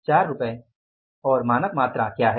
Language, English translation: Hindi, What is the standard price 4